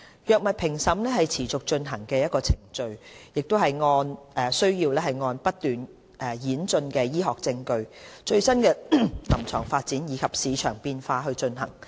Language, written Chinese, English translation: Cantonese, 藥物評審是持續進行的程序，須按不斷演進的醫學證據、最新的臨床發展及市場變化進行。, The appraisal of drugs is an ongoing process driven by evolving medical evidence latest clinical developments and market dynamics